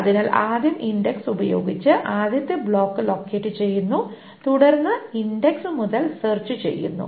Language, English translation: Malayalam, So the first locating block using the index is located and then everything from the index is being searched